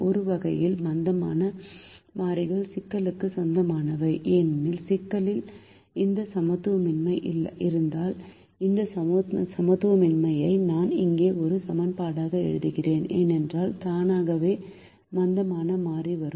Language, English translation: Tamil, in a way, the slack variables belong to the problem because if the problem has this inequality and if i am writing this inequality as an equation here, then automatically the slack variable comes, so it is part of the problem